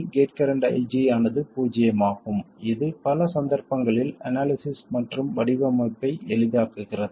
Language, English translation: Tamil, The gate current IG is zero which makes analysis and even design simple in many cases